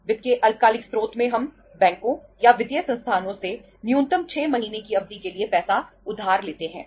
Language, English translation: Hindi, In the short term source of finance we borrow the money from the banks or financial institutions for a period of say minimum 6 months